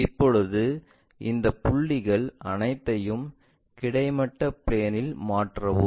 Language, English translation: Tamil, Now, transfer all these points on the horizontal plane